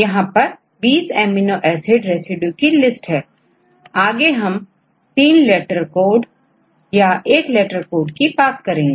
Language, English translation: Hindi, So, here I give you the list of the 20 amino acid residues In the later slides, we use the 3 letter codes or the one letter code